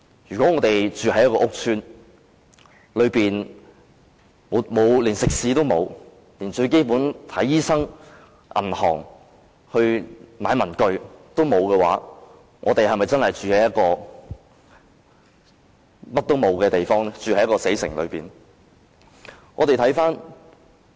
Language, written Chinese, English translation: Cantonese, 如果我們住在屋邨內，連最基本的食肆、診所、銀行、文具店也欠奉，我們是否真的住在一座甚麼都沒有的死城內？, If we live in a housing estate where even the most basic eateries clinics banks and stationery shops are unavailable are we really living in a dead city where there is nothing?